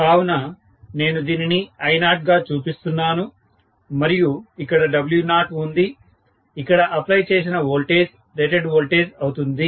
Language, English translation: Telugu, So, I am going to show this as I0 and this has W0 and of course the voltage applied here is rated voltage